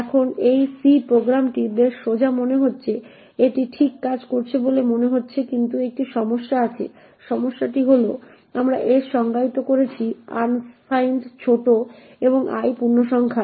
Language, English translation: Bengali, Now this C program seems pretty straightforward it seems to be working fine but there is a problem, the problem is that we have defined s to be unsigned short and i to be of integer